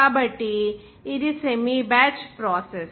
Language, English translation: Telugu, So this semi batch process